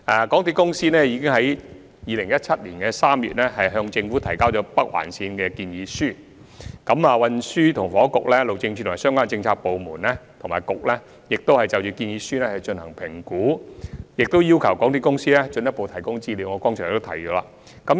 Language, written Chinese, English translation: Cantonese, 港鐵公司已於2017年3月向政府提交有關北環線的建議書，而正如我剛才所說，運房局、路政署及相關政策局/部門已就建議書進行評估，並要求港鐵公司進一步提供資料。, MTRCL already submitted its proposal for the implementation of the Northern Link in March 2017 and as I have pointed out earlier the Transport and Housing Bureau the Highways Department and relevant bureauxdepartments have evaluated the proposal and requested MTRCL to furnish additional information